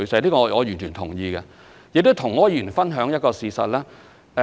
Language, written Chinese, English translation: Cantonese, 這點我完全同意。我想跟柯議員分享一個事實。, I fully agree to this point and I wish to share a fact with Mr OR